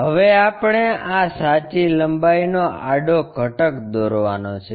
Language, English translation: Gujarati, Now, we have to draw horizontal component of this true lengths